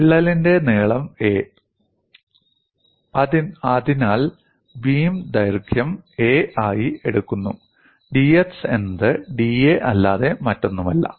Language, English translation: Malayalam, The length of the crack is a; so, the beam length is taken as a, and dx is nothing but da